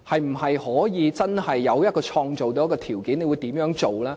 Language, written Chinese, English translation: Cantonese, 是否可以真正創造條件，局長會怎樣做呢？, Is it really possible to create favourable conditions? . What will the Secretary do?